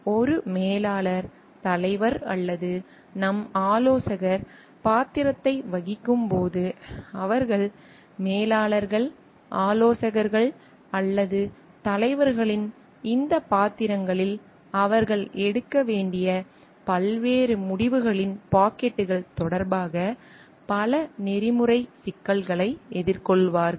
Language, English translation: Tamil, So, in playing the role of a manager leader or our consultant, they will be facing number of ethical issues dilemmas, regarding various pockets of decisions that they need to take in this roles of managers consultants or leaders